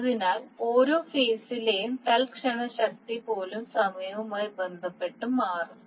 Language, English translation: Malayalam, So even your instantaneous power of each phase will change with respect to time